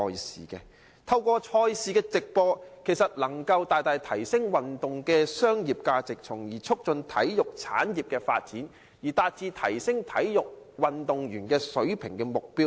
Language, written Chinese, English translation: Cantonese, 事實上，透過直播賽事，能夠大大提升運動的商業價值，從而促進體育產業的發展，以達致提升運動員水平的目標。, In fact live broadcasts of sports events can greatly increase the commercial value of sports in turn promoting the development of the sports industry and achieving the aim of upgrading the standards of athletes